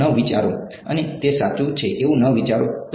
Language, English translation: Gujarati, Do not think so, and that is correct do not think